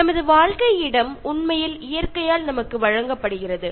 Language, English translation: Tamil, Our living space is actually given to us by nature